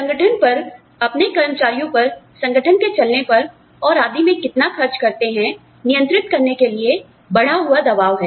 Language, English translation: Hindi, There is an increased pressure, to control, how much money, the organization is spending on the employees, on running of the organization, etcetera